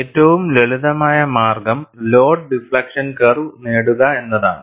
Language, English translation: Malayalam, And one of the simplest way is, to get the load deflection curve